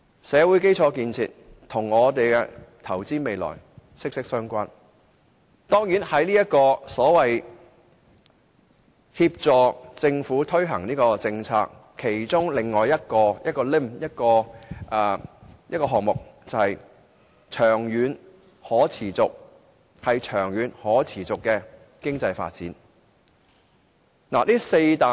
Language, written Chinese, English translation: Cantonese, 社會基建與投資未來息息相關，而當然，在協助政府推行政策方面，另一點是促進長遠可持續的經濟發展。, Social infrastructure is closely related to investing in the future . And certainly another point concerning assisting the Government in policy implementation is the promotion of sustainable economic development in the long run